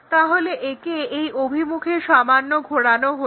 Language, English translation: Bengali, So, the slightly rotate this in this direction